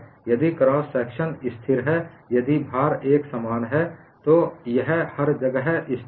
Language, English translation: Hindi, If the cross section is constant, if the load is uniform, then it is constant everywhere